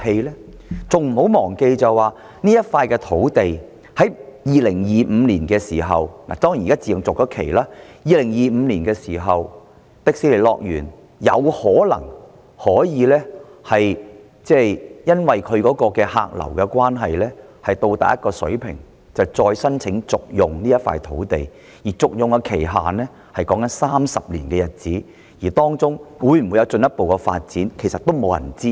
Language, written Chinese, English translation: Cantonese, 不要忘記這幅土地到了2025年——當然現在已自動續期——迪士尼樂園有可能因為其客流達至某一水平的關係，從而再申請續用這幅土地，而續用的期限為30年，更沒有人知道當中會否有進一步發展。, Of course the Option to purchase this land has automatically been extended now . But dont forget that in 2025 Disneyland may again apply for extended use of this land if its attendance has reached a certain level . The Option is valid for 30 years even though no one knows if there will be any further development